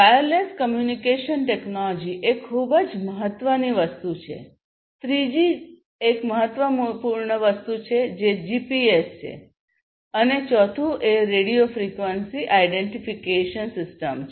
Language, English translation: Gujarati, So, wireless communication technology is very important second thing a third one is the GPS which I think all of us know and the fourth one is the radio frequency identification system